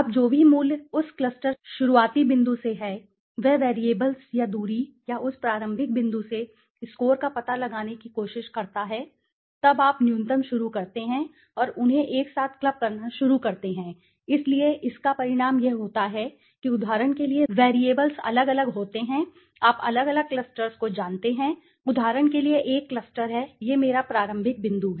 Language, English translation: Hindi, Now, whatever value that cluster starting point is right from try to find out the variables or the distance or the score from that starting point now then you start minimum ones and start clubbing them together so what it results is automatically the variables for example suppose these are the different, you know different clusters, for example there is a variables let say so let say I take this is one of my starting point okay